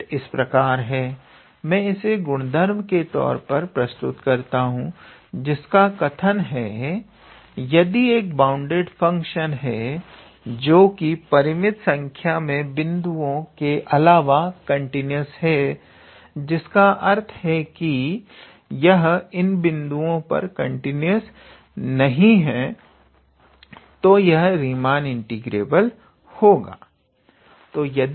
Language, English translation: Hindi, So, the result goes like this, I would list it as property all right so, property so it says that any bounded function, which is continuous except for finite number of points, so that means, it is not continuous at these points is Riemann integrable